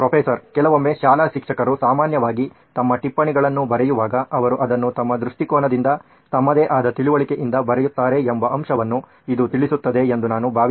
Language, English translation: Kannada, Also I think it also addresses the fact that sometimes when school teachers or teachers in general write their notes, they write it from their own perspective, their own understanding